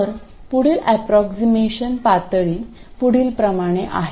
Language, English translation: Marathi, So, the next level of approximation is as follows